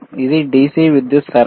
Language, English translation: Telugu, Is it in DC power supply